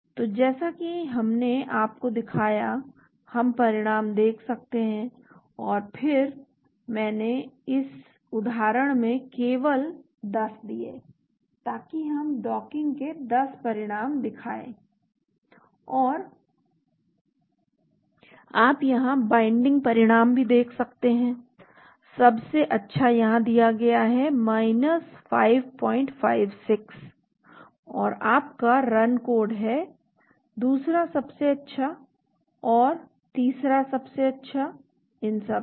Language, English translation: Hindi, So as we showed you, we can see the results and then I gave in this example only 10 so it will show 10 result of the docking and you can see the binding result here the best one is given here 5